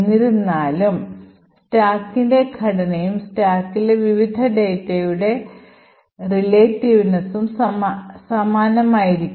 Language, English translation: Malayalam, However the structure of the stack and the relativeness of the various data are present on the stack would be identical